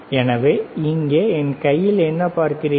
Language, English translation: Tamil, So, what do you see in my hand here, right